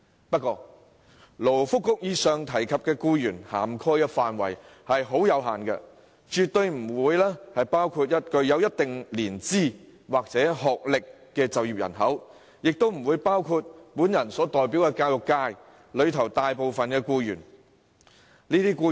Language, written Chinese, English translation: Cantonese, 不過，勞工及福利局上述提及的僱員涵蓋範圍有限，不包括具一定年資或學歷的就業人口，亦不包括我所代表的教育界大部分僱員。, Nevertheless the scope of employees covered as mentioned by the Labour and Welfare Bureau is limited and employees with a certain length of service or qualification including most of the employees in the education sector represented by me are excluded